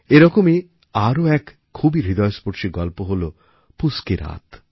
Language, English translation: Bengali, Another such poignant story is 'Poos Ki Raat'